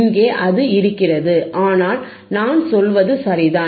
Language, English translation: Tamil, hHere it is, but I am just saying, right